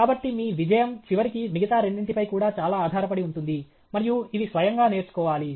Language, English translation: Telugu, So, your success, eventually, will depend a lot on the other two also okay, and these are to be self learned